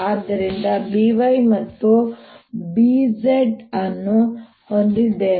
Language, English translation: Kannada, so i have b, y and b z